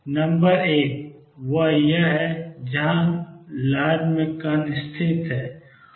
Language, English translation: Hindi, Number one is where in the wave Is the particle located